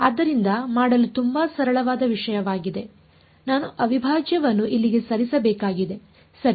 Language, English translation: Kannada, So, turns out to be a very simple thing to do I just have to move the integral over here right